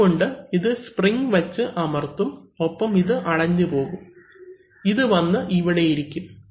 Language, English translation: Malayalam, So, therefore this is being pressed by this spring and this is actually closed, this comes and sits on this